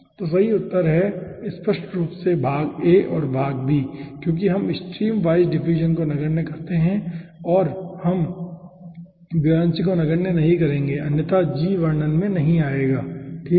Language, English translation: Hindi, okay, so, ah, the correct answer will be obviously part a and part b, because we neglect the streamwise diffusion and we and we will not be neglecting buoyancy, otherwise g will not be coming into picture